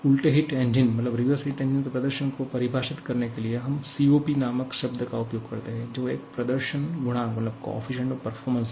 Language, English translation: Hindi, And to define the performance of a reversed heat engine, we use a term called COP; coefficient of performance